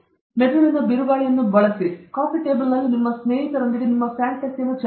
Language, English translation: Kannada, Use brain storming discuss with your friends in the coffee table